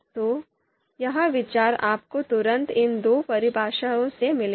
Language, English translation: Hindi, So that idea you will immediately get from these two definitions